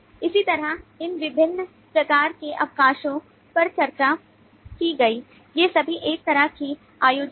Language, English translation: Hindi, similarly, all of these different types of leave as discussed, the, all these are kind of events